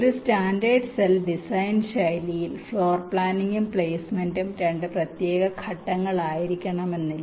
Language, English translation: Malayalam, in a standard cell design style, floor planning and placement need not be two separate steps